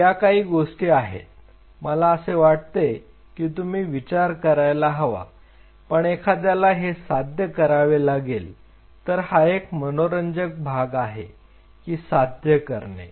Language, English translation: Marathi, So, these are some of the stuff which I want you guys to think, but then what one has to achieve now here is the interesting part one, one has to achieve